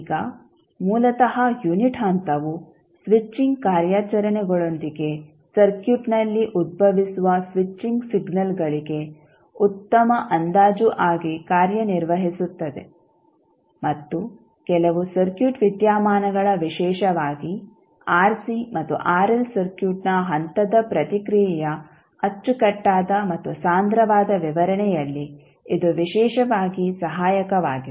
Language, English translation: Kannada, Now, these basically the unit step serves as a good approximation to the switching signals that arise in the circuit with the switching operations and it is very helpful in the neat and compact description of some circuit phenomena especially the step response of rc and rl circuit